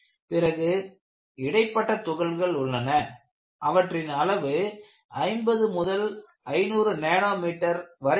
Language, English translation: Tamil, Then you have intermediate particles, the size range is 50 to 500 nanometers